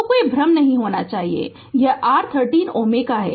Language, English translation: Hindi, So, there should not be any confusion and this is your 13 ohm